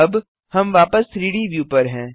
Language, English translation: Hindi, I am selecting the 3D view